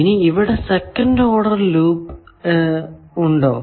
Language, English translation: Malayalam, What is the second order loop